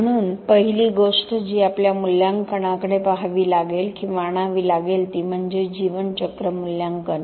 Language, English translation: Marathi, So, the first thing that will have to look at or bring in to our assessment is what is called lifecycle assessment